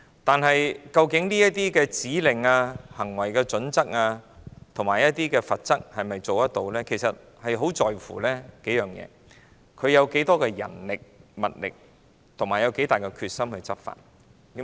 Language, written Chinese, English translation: Cantonese, 但是，究竟該局制訂的指令、行為準則和罰則是否有效，很視乎該局投放多少人力、物力和有多大的決心執法。, But whether the directions code of practice and penalties set by TIA are effective or not depends on the manpower and resources allocated by TIA and how determined it is to enforce those rules and regulations